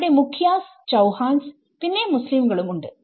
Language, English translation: Malayalam, There is a mukhiyas, there is chauhans and there is a Muslim community